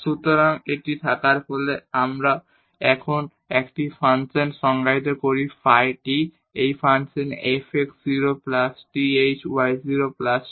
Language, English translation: Bengali, So, having this we define a function now phi t, the same the function f x 0 plus th y 0 plus tk